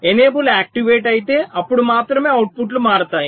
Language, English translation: Telugu, so if enable is activated, only then the outputs will change